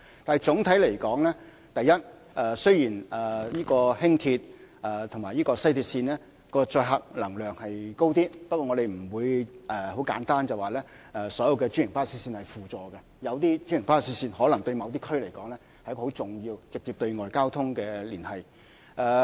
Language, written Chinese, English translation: Cantonese, 但是，總的來說，第一，雖然輕鐵和西鐵線的可載客量高一點，不過，我們不會簡單說，所有專營巴士線是輔助的，因為有些專營巴士線對某些區來說，是直接對外連接的重要交通工具。, However in a nutshell firstly LR and WR may have a larger carrying capacity but we will not so readily say that all franchised bus services are ancillary because in certain districts some franchised bus routes serve as an important mode of transport for direct external linkage